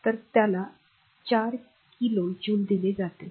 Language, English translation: Marathi, So, it is given 4 kilo joule